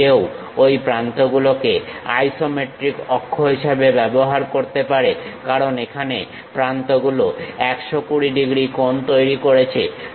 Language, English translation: Bengali, One can use those edges as the isometric axis; because here the edges are making 120 degrees